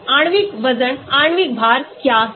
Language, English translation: Hindi, molecular weight; what is a molecular weight